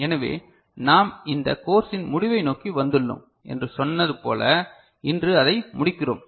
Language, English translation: Tamil, So, as we said we are towards the end of this course, we are finishing it today